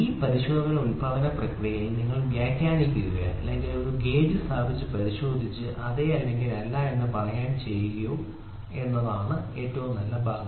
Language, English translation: Malayalam, So, the best part is you interpret this inspection right in the manufacturing process or after it try to put a gauge and check and try to say yes or no